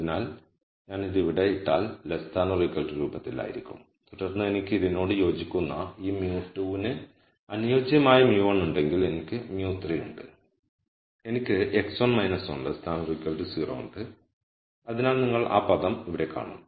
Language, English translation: Malayalam, So, if I put this here this is into the less than equal to form and then corresponding to this if I have mu 1 corresponding to this mu 2 and corresponding to this I have mu 3 I have x 1 minus 1 is less than equal to 0 so you see that term here